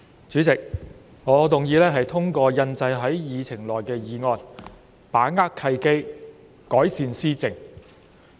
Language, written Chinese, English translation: Cantonese, 主席，我動議通過印載於議程內的議案"把握契機，改善施政"。, President I move that the motion Seizing the opportunities to improve governance as printed on the Agenda be passed